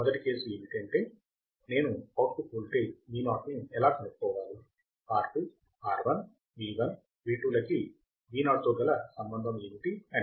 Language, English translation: Telugu, First case is how I have to find the output voltage Vo, the relation between the R2, R1, V1, V2 with respect to Vo